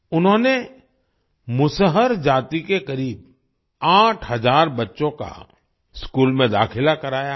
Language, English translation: Hindi, He has enrolled about 8 thousand children of Musahar caste in school